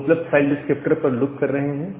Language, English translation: Hindi, Now, we are looping over the available file descriptor